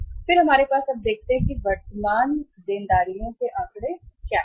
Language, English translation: Hindi, Then we have the let us see now put the figures here before we move to the current liabilities